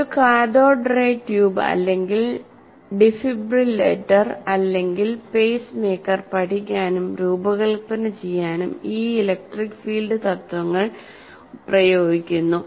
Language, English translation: Malayalam, And these principle, electric field principles are applied to study and design cathodeary tube, heart, defibrillator, or pacemaker